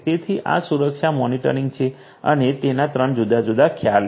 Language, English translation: Gujarati, So, this is the security monitoring and it’s three different prongs